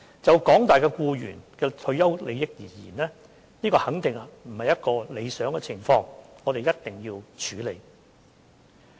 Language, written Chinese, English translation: Cantonese, 就廣大僱員的退休利益而言，這肯定不是一個理想的情況，我們必須處理。, As regards the retirement benefits for employees at large the situation is definitely not satisfactory and we must tackle it